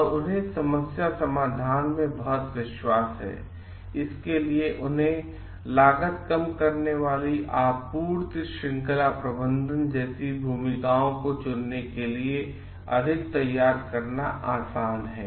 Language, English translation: Hindi, And they have great confidence in problem solving; which also makes them like more ready for choosing roles like supply chain management for reducing cost